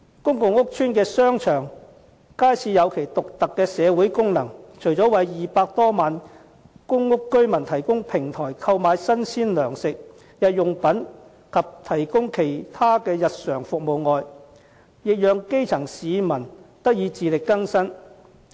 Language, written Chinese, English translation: Cantonese, 公共屋邨的商場、街市有其獨特的社會功能，除了為200多萬公屋居民提供平台，讓他們購買新鮮糧食、日用品及提供其他日常服務外，亦讓基層市民得以自力更生。, Shopping arcades and wet markets in public housing estates serve specific functions in the community . They do not only serve as a platform for the more than 2 million public housing residents to buy fresh provisions daily necessities and other services but also offer opportunities for the grass roots to earn their own living